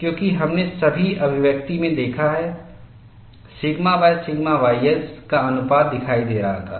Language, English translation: Hindi, See, you note down the ratio sigma by sigma ys appears in all these calculations